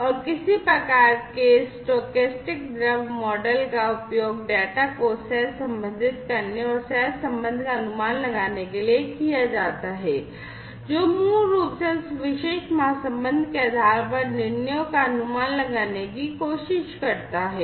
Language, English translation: Hindi, And some kind of a stochastic fluid model is used to correlate the data and try to infer the correlation basically try to infer the decisions, based on that particular correlation